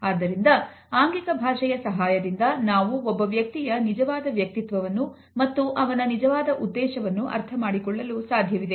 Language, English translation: Kannada, So, these signals of body language help us to understand the true personality and the true intention of a person